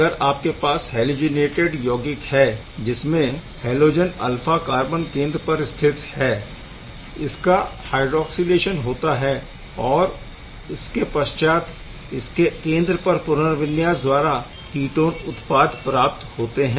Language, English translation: Hindi, If you have similarly an halogenated compound alpha position alpha to the carbon centre alpha to the halogen; halogen can be also hydroxylated and subsequent rearrangement can give you the ketone product as well